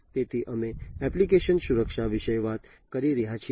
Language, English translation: Gujarati, So, we are talking about application security